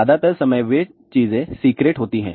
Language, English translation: Hindi, Most of the time they are secrete things